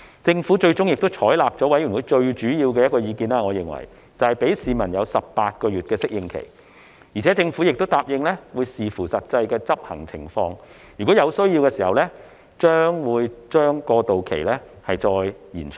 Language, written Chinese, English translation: Cantonese, 政府最終亦採納了我認為是法案委員會最主要的意見，就是讓市民有18個月的適應期，而且政府亦答應會視乎實際執行情況，如果有需要，將會把過渡期再延長。, The Government has eventually adopted what I consider to be the major view of the Bills Committee and that is to allow a phasing - in period of 18 months for the public . In addition the Government has also agreed to depending on the actual implementation situation further extend the transitional period if necessary